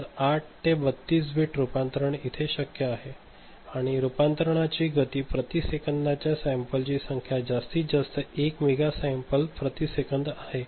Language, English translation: Marathi, So, 8 to 32 bits conversion is there and the speed of conversion the number of sample per second is in the order of maximum is 1 mega sample per second